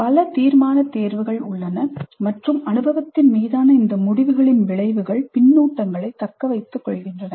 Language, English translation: Tamil, There are many decision choices and the consequences of these decisions on the experience serve as the feedback